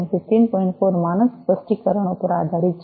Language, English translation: Gujarati, 4 standard specifications